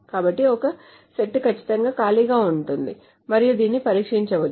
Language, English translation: Telugu, So a set can be empty of course and there can be tested with it